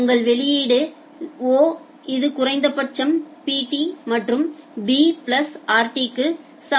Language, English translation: Tamil, So, your output O it will be equal to minimum of Pt and b plus rt